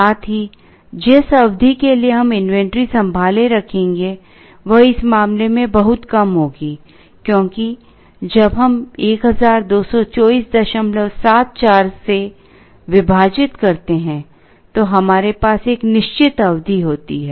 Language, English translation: Hindi, Also the period for which we will be holding the inventory, will be far less in this case, because when we divide by 1224